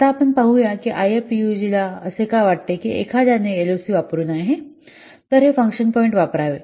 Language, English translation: Marathi, Now let's see why IFPUG thinks that one should not use LOC rather they should use function point